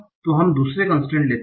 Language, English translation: Hindi, So let's take the second constraint